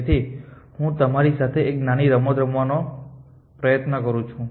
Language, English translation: Gujarati, So, let me try out a small game with you